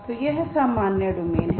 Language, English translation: Hindi, So this is the general domain